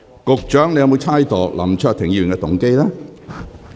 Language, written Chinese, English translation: Cantonese, 局長，你有否猜測林卓廷議員的動機？, Secretary are you imputing the motive of Mr LAM Cheuk - ting?